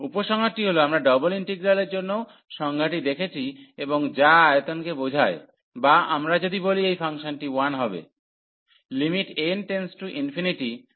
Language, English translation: Bengali, So, the conclusion is we have seen the the definition also for the double integral and which represents the volume or if we said this function to be 1